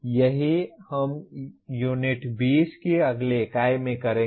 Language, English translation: Hindi, That is what we will be doing in the next unit that is U20